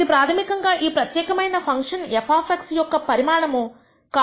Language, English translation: Telugu, That is the basically the volume of this particular function f of x comma y